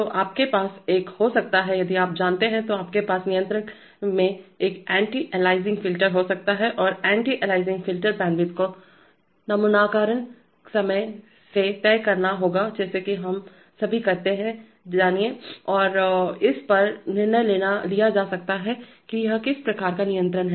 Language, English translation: Hindi, So you might have an, if you know, you might have an anti aliasing filter in the controller and the anti aliasing filter bandwidth will have to be decided by the sampling time as we all know and this may be decided based on what kind of control it is